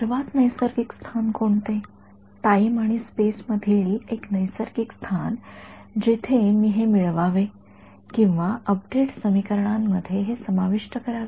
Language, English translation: Marathi, what is the most natural place, a natural position in space and time where I should add this or incorporate this into the update equations